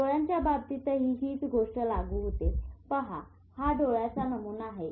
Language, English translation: Marathi, Similar thing in the eye, see this is the pattern of the eye